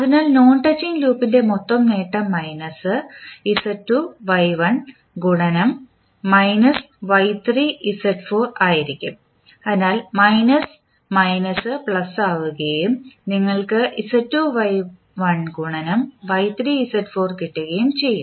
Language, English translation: Malayalam, So, the total gain of non touching loop would be minus Z2 Y1 into minus of Y3 Z4 so minus minus will become plus and you will get Z2 Y1 multiplied by Y3 Z4